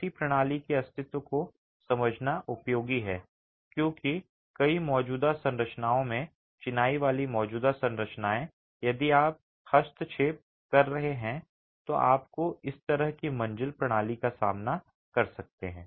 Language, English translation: Hindi, It's useful to understand the existence of such a system because in many existing structures, masonry existing structures, if you are intervening, you might encounter this sort of a flow system